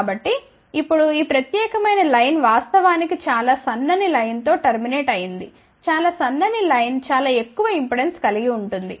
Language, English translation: Telugu, So, now, this particular line is actually terminated in a very thin line a very thin line will have a very high impedance